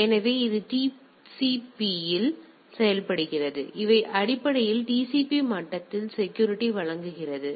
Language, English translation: Tamil, So, it acts on the TCP; so, it basically provides security at the TCP level